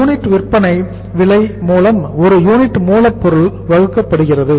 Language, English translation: Tamil, So it is the selling price per unit divided by the selling price per unit